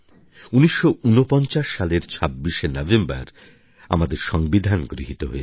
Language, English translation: Bengali, Our Constitution was adopted on 26th November, 1949